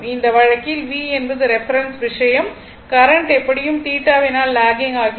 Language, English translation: Tamil, In that case also V is that reference thing , current anyway lagging by theta